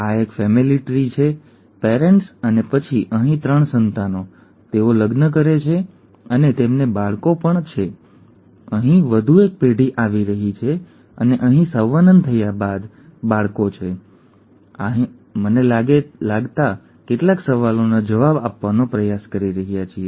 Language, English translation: Gujarati, This is a a family tree parents and then the 3 offspring here, they marry and they have children and there is one more generation that is occurring here and after mating here, there are children here and we are trying to answer some questions related to these